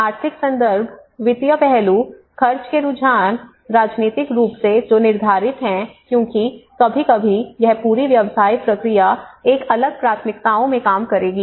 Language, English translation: Hindi, And the economic context, the financial aspect, the expenditure trends, the politically which are politically determined because sometimes this whole business process will works in a different priorities